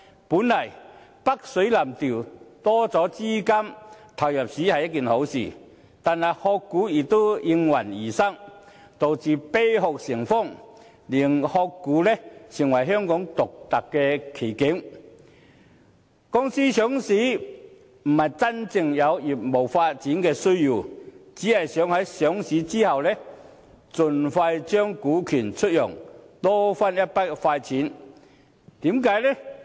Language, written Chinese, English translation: Cantonese, 本來北水南調，增加資金入市是一件好事，但"殼股"卻也應運而生，導致"啤殼"成風，令"殼股"成為香港獨特的奇景：公司上市不是因為真正有業務發展的需要，只是想在上市後盡快將股權出讓，多賺一筆快錢。, Basically capitals from the Mainland are a good thing because they can increase capital inflow into our market but this has also given rise to shell stocks . The formation of shell companies has turned prevalent and shell stocks are now a strange phenomenon unique to Hong Kong . A company is listed not because there is any genuine need for business development but because people want to sell its shares quickly after listing in order to make quick money